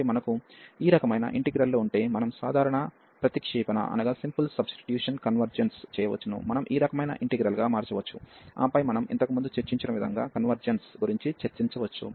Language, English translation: Telugu, So, if we have this type of integrals, we can just by simple substitution, we can converge into this type of integral, and then discuss the convergence the way we have discussed earlier